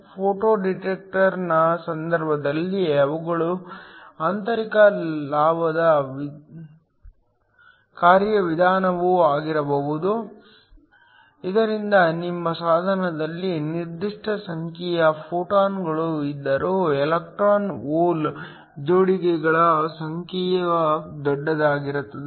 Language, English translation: Kannada, In the case of a photo detector, they could also be an internal gain mechanism, so that even though we have a certain number of photons that are incident on your device, the numbers of electron hole pairs are larger